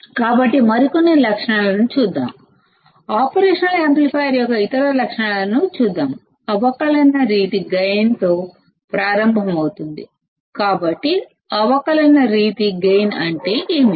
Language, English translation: Telugu, So, let us see some other characteristics; let us see other characteristics of operational amplifier; starting with differential mode gain